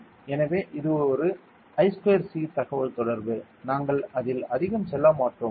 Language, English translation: Tamil, So, it is an I square C communication, we would not be going too much into it ok